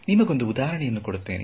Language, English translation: Kannada, So I will give you a simple example